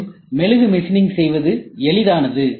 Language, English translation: Tamil, And machining wax is also easy